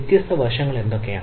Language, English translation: Malayalam, so what are the different aspects